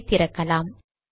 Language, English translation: Tamil, So let me open this